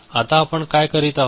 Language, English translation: Marathi, Now what we are doing